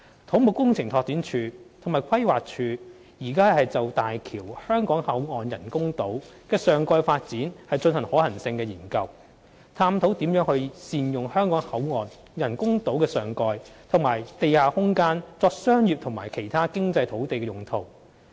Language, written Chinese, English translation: Cantonese, 土木工程拓展署及規劃署現正就大橋香港口岸人工島的上蓋發展進行可行性研究，探討如何善用香港口岸人工島的上蓋和地下空間作商業及其他經濟土地用途。, The Civil Engineering and Development Department and the Planning Department are conducting a feasibility study for topside development at the artificial island where the Hong Kong Port is located to explore how to optimize the land on the island for topside and underground development for commercial and other economic uses